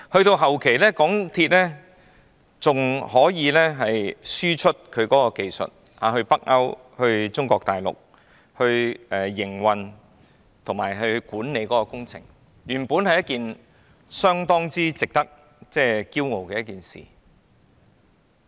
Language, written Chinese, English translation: Cantonese, 到了後期，港鐵公司還可以向北歐及中國大陸輸出營運及管理工程的技術，原本是一件相當值得驕傲的事。, Later MTRCL even managed to export its techniques in operation and project management to northern Europe and Mainland China . This is supposedly something to be proud of